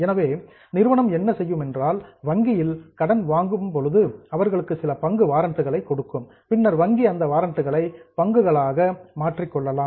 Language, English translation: Tamil, So what we do is when we take loan,, we give them some share warrants and these share warrants can later on be converted into shares by the bank